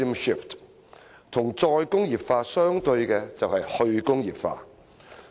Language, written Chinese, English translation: Cantonese, 與"再工業化"相對的就是"去工業化"。, The opposite of re - industrialization is deindustrialization